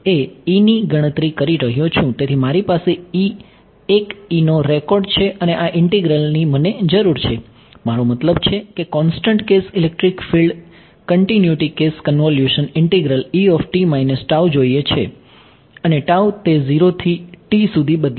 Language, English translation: Gujarati, So, I have a record of E and this integral needs me to have I mean look at the continuous case electric field continuous case convolution integral it needs E of t minus tau and tau is varying from 0 to t